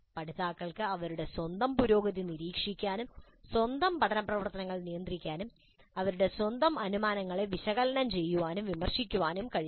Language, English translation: Malayalam, Learners must be able to monitor their own progress, regulate their own learning activities and must be able to analyze, criticize their own assumptions